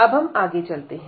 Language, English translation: Hindi, So, let us just go through